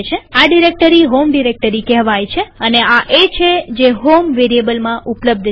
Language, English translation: Gujarati, This directory is called the home directory and this is exactly what is available in HOME variable